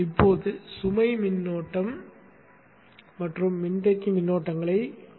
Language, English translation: Tamil, Now let us look at the load current and the capacitor currents